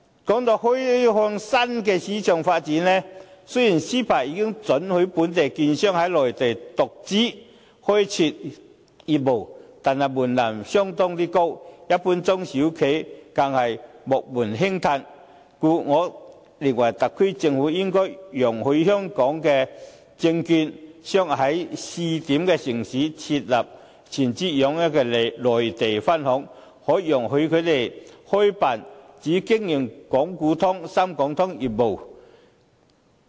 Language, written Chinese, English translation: Cantonese, 談到開發新市場發展，雖然 CEPA 已經准許本地券商在內地獨資開設業務，但門檻相當高，一般中小企更是望門興嘆，故我認為特區政府應該容許香港證券商在試點城市設立全資擁有的內地分行，可以容許他們開辦只經營港股通、深港通業務的內地分行。, Why does the SAR Government not striving for us in terms of the Shanghai Shenzhen CSI 300 Index? . As regards the development of exploring new markets although CEPA allows local securities dealers to set up business in the Mainland as standalone entities the threshold is very high especially to the general SMEs . I thus think that the SAR Government should allow Hong Kong securities dealers to set up wholly owned branches in pilot zones of the Mainland and they can be restricted to set up Mainland branches only engaging in businesses relating to the Southbound Trading Link of the Shanghai - Hong Kong Stock Connect and the Shenzhen - Hong Kong Stock Connect